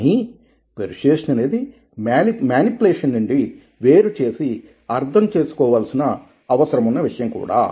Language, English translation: Telugu, but persuasion is also something which needs to be differentiated from manipulation